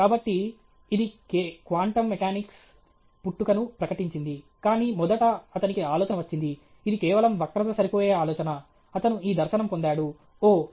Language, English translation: Telugu, So, this announced the birth of quantum mechanics, but first he got the idea it was just a curve fitting idea; he just got this dharshana, oh